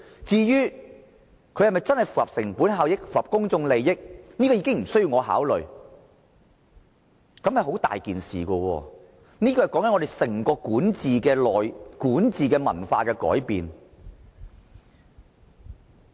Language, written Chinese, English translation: Cantonese, 至於是否符合成本效益和公眾利益，已經無須考慮，但這樣做會引起嚴重的問題，那就是整個管治文化的改變。, There is no need to consider cost - effectiveness and public interest . This will cause serious problems . The whole governance culture has changed